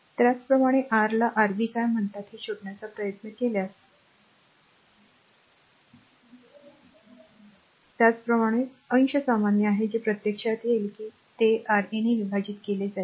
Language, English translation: Marathi, Similarly, if you try to find out your what you call Rb, similarly numerator is common the actually whatever it will come divided by your R 2